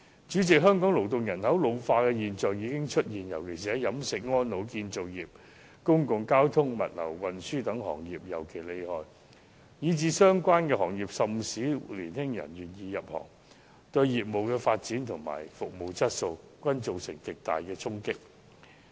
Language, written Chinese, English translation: Cantonese, 主席，香港勞動人口老化的現象已經出現，而在飲食、安老、建造業、公共交通、物流運輸等行業尤其嚴重，以致相關行業甚少年輕人願意入行，對業務發展及服務質素均造成極大衝擊。, President Hong Kong has already seen the ageing of the working population which has become particularly acute in industries such as catering elderly care construction public transport logistics transportation and so on . Hence very few young people are willing to join such industries which has an extremely significant impact on business development and service quality